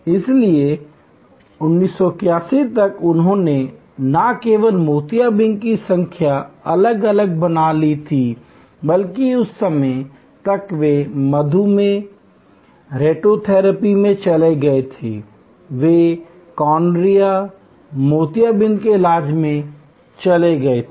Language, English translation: Hindi, So, by 1981 they had created number of different not only cataract, but by that time, they had gone into diabetic, retinopathy, they had gone into cornea, glaucoma treatment and so on